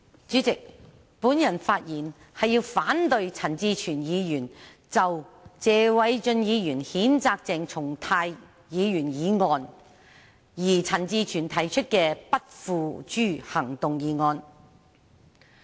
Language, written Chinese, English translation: Cantonese, 主席，我發言是要反對陳志全議員就謝偉俊議員譴責鄭松泰議員議案而提出的不付諸行動議案。, President I rise to speak against the motion moved by Mr CHAN Chi - chuen that no further action shall be taken on the motion moved by Mr Paul TSE to censure Dr CHENG Chung - tai